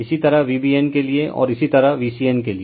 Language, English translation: Hindi, Similarly, for V BN, and similarly for V CN right